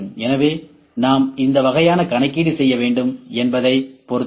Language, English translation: Tamil, So, it depends upon what type of computation we need to do